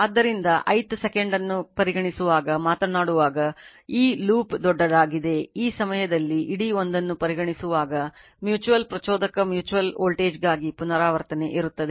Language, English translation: Kannada, So, when you talking when you are considering for ith second this loop bigger one, when you considering the whole one at the time see the repetition will be there for the mutual induce mutual voltage right